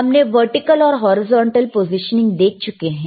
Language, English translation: Hindi, So now, we have the vertical, we have seen the horizontal